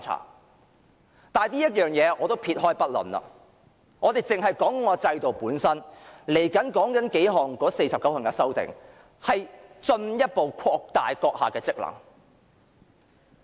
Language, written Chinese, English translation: Cantonese, 不過，這一點我暫且撇開不談，我只是討論制度本身的問題，就是這49項修訂將進一步擴大主席的職權。, Nevertheless I will leave this point aside for the moment and focus the discussion on the problem of the system itself . That is these 49 amendments will further expand the Presidents functions and powers